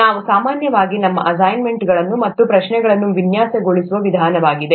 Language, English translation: Kannada, That's the way we typically design our assignments as well as the exams